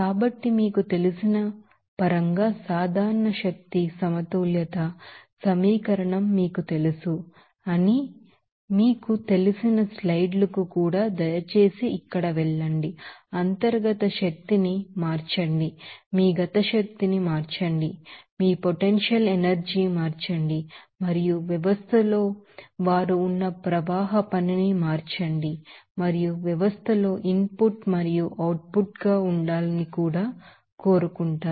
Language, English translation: Telugu, So, please go to the slides also here how to represent that you know general energy balance equation in terms of you know, change up internal energy change your kinetic energy, change your potential energy and also change of flow work they are in the system and also want to be the input and output in the system